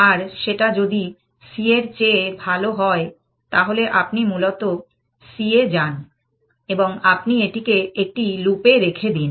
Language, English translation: Bengali, And if that is better than c then you basically move to c and you put this in a loop essentially